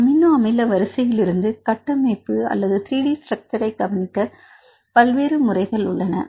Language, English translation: Tamil, There are various methods to predict the 3 D structures just from this amino acid sequence